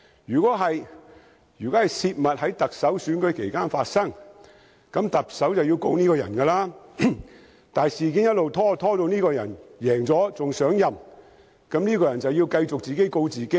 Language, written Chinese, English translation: Cantonese, 若是，如果有人在行政長官選舉期間泄密，那麼行政長官便要控告這個人，但如事件一直拖延至這個人勝出並上任，那麼這個人便要繼續自己告自己了。, If yes once a person divulges any confidential information during the Chief Executive Election the Chief Executive will then have to sue this person . However if actions are delayed until after that person has won the Election and become the Chief Executive then that person will have to sue himself